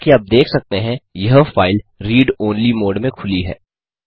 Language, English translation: Hindi, As you can see, this file is open in read only mode